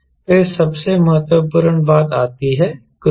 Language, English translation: Hindi, then comes the at most important thing, cruise